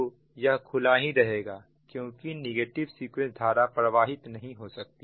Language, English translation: Hindi, so this will remain open because no negative sequence current can flow